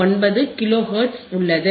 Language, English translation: Tamil, 59 Kilo Hertz